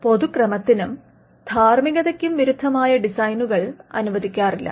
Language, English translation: Malayalam, Designs that are contrary to public order or morality will not be granted